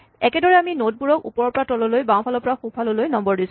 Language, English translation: Assamese, In the same way, we number the nodes also top to bottom, left to right